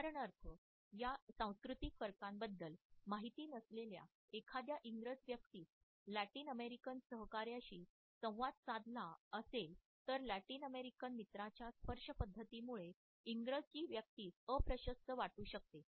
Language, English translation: Marathi, For example if an Englishman who is not aware of these cultural differences has to interact with a Latin American colleague or a team mate then the Englishman may feel very uncomfortable by the level of touch the Latin American friend can initiate at his end